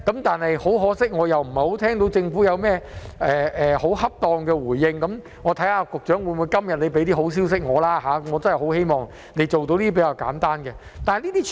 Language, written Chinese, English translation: Cantonese, 但很可惜，我聽不到政府有適當的回應，看看局長今天會否帶些好消息給我吧，我真的希望他能夠做到這些比較簡單的事情。, But unfortunately I have not heard any proper response by the Government . Let us see if the Secretary will bring me some good news today . I really hope he can do these relatively simple things